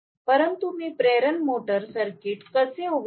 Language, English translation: Marathi, But how will I open circuit the induction motor